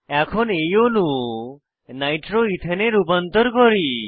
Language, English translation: Bengali, Now let us convert this molecule to nitro ethane